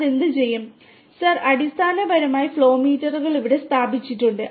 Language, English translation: Malayalam, Sir, basically the flow meter is installed here